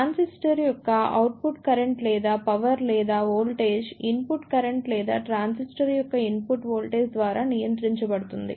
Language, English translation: Telugu, The output current or power or voltage of a transistor is controlled by either the input current or the input voltage of the transistor